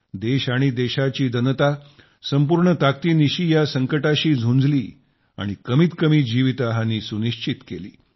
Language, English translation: Marathi, The country and her people fought them with all their strength, ensuring minimum loss of life